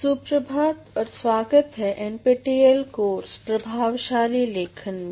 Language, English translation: Hindi, Good morning and welcome to NPTEL course on Effective Writing